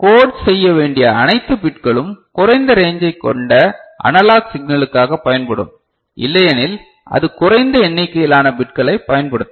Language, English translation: Tamil, So, all the bits to encode and analog signal which is having a lower range right, otherwise it will use lesser number of bits ok